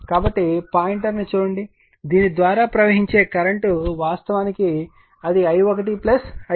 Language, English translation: Telugu, So, current flowing through this actually look at the pointer it is, i 1 plus i 2